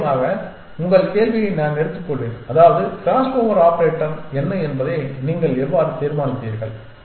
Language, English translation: Tamil, Sure, so I will take your question to mean how do you decide what is the crossover operator essentially